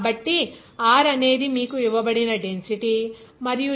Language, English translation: Telugu, So, Rho is density that is given to you and g is given to 9